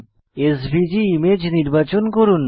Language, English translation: Bengali, Lets select SVG image